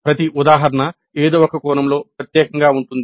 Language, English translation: Telugu, Every instance is unique in some sense